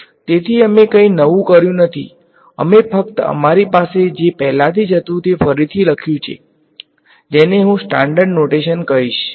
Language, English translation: Gujarati, So, we did not do anything new, we just re wrote what we already had in a little bit more what I am going to call the standard notation